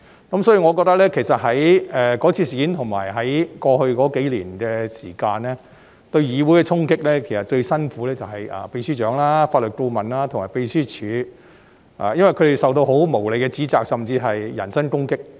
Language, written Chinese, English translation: Cantonese, 因此，我認為在該次事件及在過去數年間，就他們對議會的衝擊而言，其實最辛苦是秘書長、法律顧問和秘書處同事，因為他們受到很無理的指責，甚至人身攻擊。, In the past few years and in this incident talking about the storming of the Council people who suffered the most were the Secretary General Legal Advisers and colleagues of the Legislative Council Secretariat for they faced very unreasonable accusations or even personal attacks